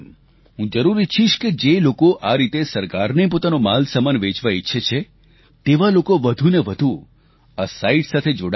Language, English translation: Gujarati, I would certainly like that whoever wishes to sell their products or business items to the government, should increasingly get connected with this website